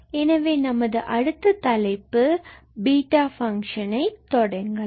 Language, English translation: Tamil, So, let us start our next topic beta function